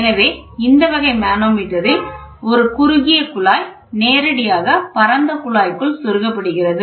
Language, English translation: Tamil, In this type of manometer a narrow tube is directly inserted into a wide tube